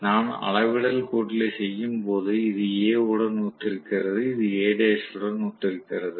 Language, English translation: Tamil, So, when I do the scalar addition, this is corresponding to A, this is corresponding to A dash oaky